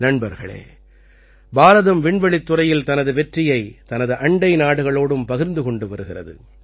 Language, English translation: Tamil, Friends, India is sharing its success in the space sector with its neighbouring countries as well